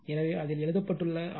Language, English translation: Tamil, So, it is written in it